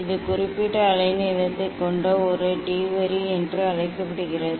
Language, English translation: Tamil, it tells call it is a D line it has particular wavelength